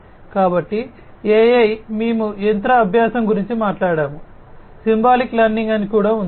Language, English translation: Telugu, So, AI we have talked about machine learning, there is also something called Symbolic Learning, Symbolic Learning